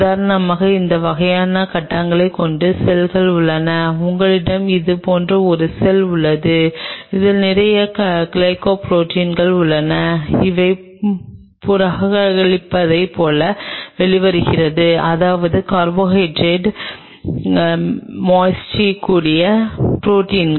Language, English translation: Tamil, There are cells which have those kinds of phase if for example, you have a cell like this, which has lot of glycoproteins which are coming out like reporting means protein with a carbohydrate moiety